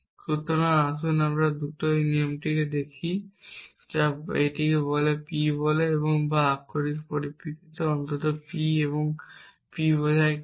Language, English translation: Bengali, So, let us quickly just look at this rule what does says it says P or it says in terms of literals at least P and P implies Q